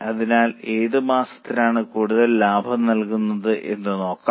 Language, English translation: Malayalam, And then we will discuss as to which month has more profits